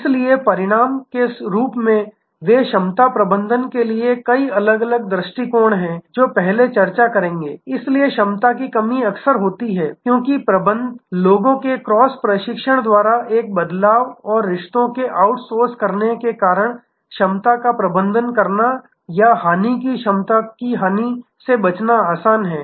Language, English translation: Hindi, So, as a result they are many different approaches to capacity management, which will discuss before, so the capacity constrains is often now, manage, because of a shift by cross training of people and a different sorts of outsourcing the relationships this becomes much more easier to manage capacity or avoid loss or perishability of capacity